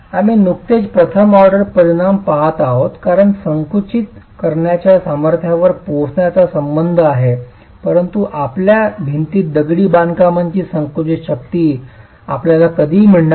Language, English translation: Marathi, We've just been looking at a first order effect as far as arriving at the compressive strength is concerned, but you will never get that compressive strength of masonry in your wall